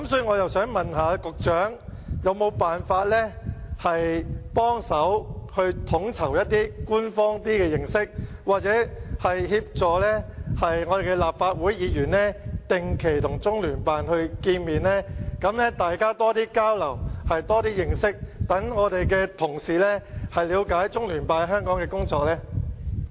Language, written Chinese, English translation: Cantonese, 我想問局長，有否辦法協助統籌一些較官方的方法，協助立法會議員定期與中聯辦見面，大家增加交流、認識，讓我們的同事了解中聯辦在香港的工作呢？, So they are afraid of doing so again . I would like to ask the Secretary if it is possible to coordinate the establishment of some sort of official channels to facilitate regular meetings between Members and CPGLO so that Members can know more about CPGLOs work in Hong Kong through exchanges and understanding?